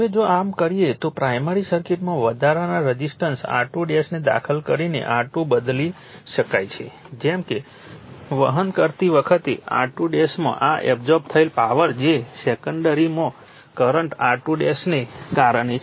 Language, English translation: Gujarati, Now, if you do so, if you do so, resistance R 2 can be replaced by inserting an additional resistance R 2 dash in the primary circuit such that the power absorbed in R 2 dash when carrying current your is equal to that in R 2 due to the secondary current, right